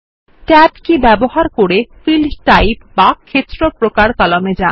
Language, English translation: Bengali, Use the Tab key to move to the Field Type column